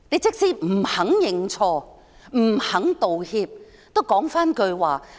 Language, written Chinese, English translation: Cantonese, 即使她不肯認錯、不肯道歉，也要說一句話。, Even if she refuses to admit mistakes and apologize she should say something